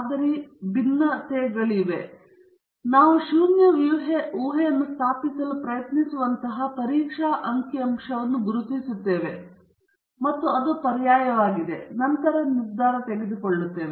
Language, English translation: Kannada, So, we identify a test statistic using which we try to establish the null hypothesis or it’s alternate and then subsequently make a decision